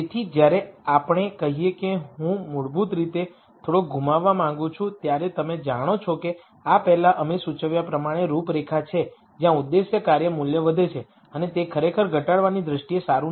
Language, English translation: Gujarati, So, when we say I want to lose a little bit basically you know as we mentioned before these are contours where the objective function value increases and those are actually not good from a minimization viewpoint